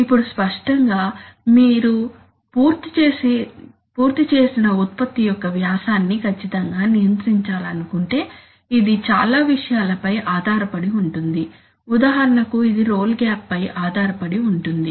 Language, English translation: Telugu, Now obviously, you would like to strictly control the diameter of the, of your finished product which depends on so many things for example, it crucially depends on the role gap